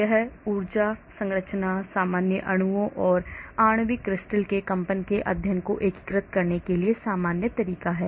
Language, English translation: Hindi, it is a general method for unifying studies of energies, structures, vibrations of general molecules and molecular crystals